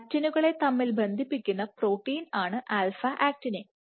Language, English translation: Malayalam, Alpha actinin is an actin cross linking protein